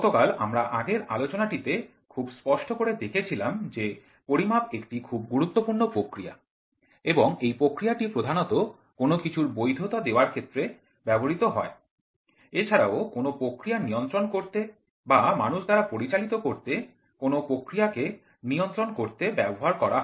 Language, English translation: Bengali, So, yesterday we saw when we had previous lecture, we saw very clearly that measurement is a very important process and this process is also used majorly one for validation, other also to control the process or control some man operations